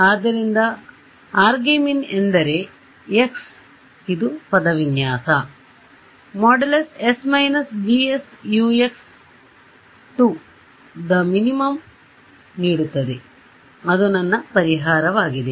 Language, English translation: Kannada, So, argmin means that x which gives the minimum of this expression s minus G S Ux and that is my solution